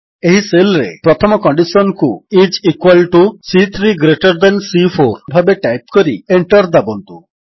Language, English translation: Odia, In this cell, type the first condition as is equal to C3 greater than C4 and press the Enter key